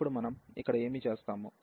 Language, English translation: Telugu, And now what we will do here